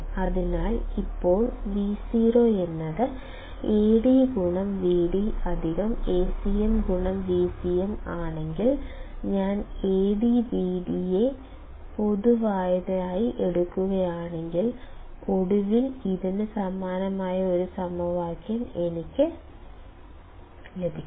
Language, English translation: Malayalam, So, now if Vo equals to Ad into Vd plus Acm into Vcm; if I take AdVd as common, then finally, I will get an equation which is similar to this